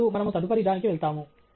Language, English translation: Telugu, Now, we will move to the next one